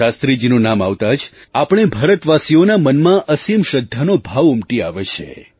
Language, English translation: Gujarati, The very name of Shastriji evokes a feeling of eternal faith in the hearts of us, Indians